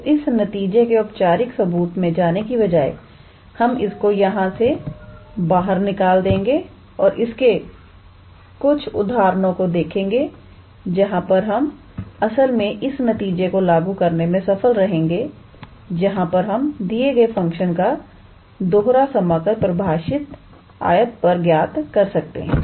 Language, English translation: Hindi, So, instead of going into the theoretical proof of this result we will omit that and will now look into few examples where we can actually apply this result where we can calculate the double integral of a given function defined on a rectangle